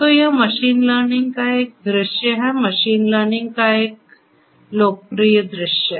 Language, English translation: Hindi, So, this is one view of machine learning, a popular view of machine learning